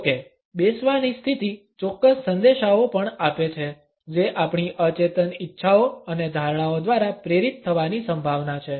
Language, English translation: Gujarati, However, the sitting positions also communicates certain messages which are likely to be motivated by our unconscious desires and perceptions